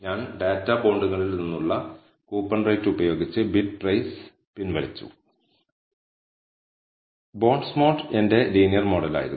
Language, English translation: Malayalam, So, I had regressed BidPrice with coupon rate from the data bonds and bondsmod was my linear model